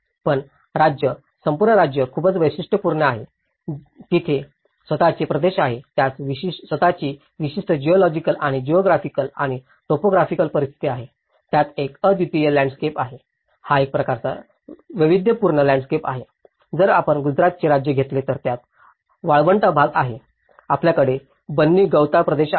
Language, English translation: Marathi, But the state; whole state is very diverse, it has its own regions, it has his own unique geological and geographical and topographical conditions, it has unique landscape; is a very diverse landscape, if you take Gujarat state, you have the desert part of it; you have the Banni grasslands part of it